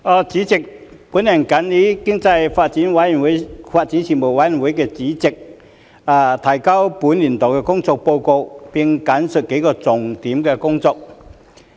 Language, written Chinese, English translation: Cantonese, 主席，我謹以經濟發展事務委員會主席的身份，提交本年度的工作報告，並簡述數項重點工作。, President in my capacity as Chairman of the Panel on Economic Development the Panel I submit the work report of the Panel for this session and briefly highlight its work in several key areas